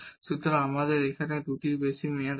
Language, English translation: Bengali, So, we have the one over 2 term here